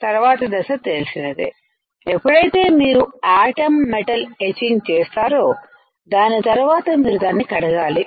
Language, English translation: Telugu, Next step is of course, whenever you do the atom metal etching, after that you have to rinse it